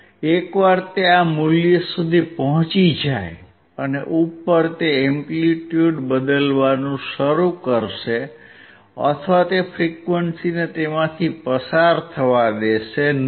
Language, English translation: Gujarati, Once it reaches this value and above it will start changing the amplitude or it will not allow the frequency to pass